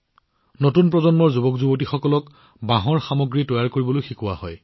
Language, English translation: Assamese, The youth of the new generation are also taught to make bamboo products